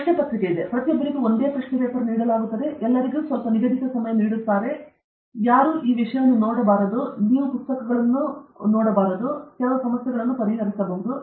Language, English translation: Kannada, There is a question paper; everybody is given the same question paper; everybody is given some time; nobody should look at each other’s this thing; you should not look at books and this thing; and then you solve some problems